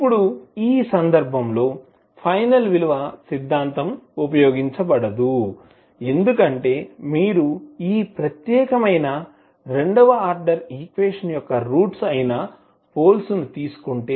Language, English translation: Telugu, Now the final value theorem cannot be used in this case because if you take the poles that is the roots of this particular second order equation